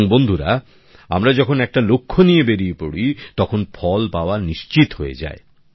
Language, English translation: Bengali, And friends, when we set out with a goal, it is certain that we achieve the results